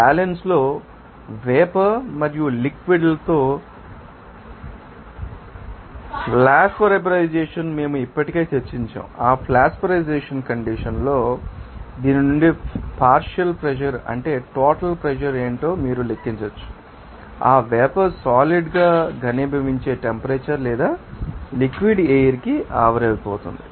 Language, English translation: Telugu, Flash vaporization with vapor and liquid in equilibrium that we have already discussed that at that flash you know vaporization condition that from which you can calculate that what is the you know partial pressure what would be the total pressure what would be the temperature at which that you know vapor will be condensing or liquid will be you know vaporize to the air